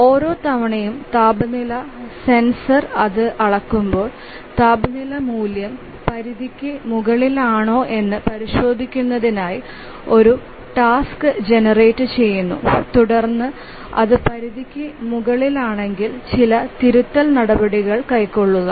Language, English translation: Malayalam, So each time the temperature sensor measures it and it periodically measures a task is generated to check the temperature value whether it is above the threshold and then if it is above the threshold then take some corrective action